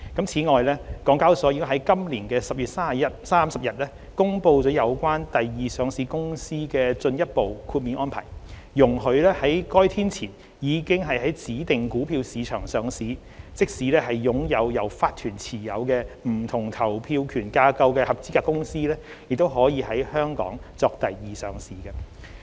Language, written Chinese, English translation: Cantonese, 此外，港交所已在今年10月30日公布了有關第二上市公司的進一步豁免安排，容許在該天前已在指定股票市場上市，即使擁有由法團持有不同投票權架構的合資格公司也可以在香港作第二上市。, In addition HKEX announced on 30 October this year further grandfathering arrangements in respect of companies seeking secondary listing . Under the arrangements qualifying companies that have already listed on specified stock markets before that date could seek secondary listing in Hong Kong notwithstanding they possess corporate WVR structures